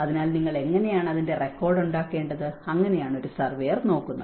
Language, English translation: Malayalam, So, how you have to make a record of that, so that is where a surveyor looks at